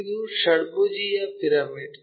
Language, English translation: Kannada, It is a hexagonal pyramid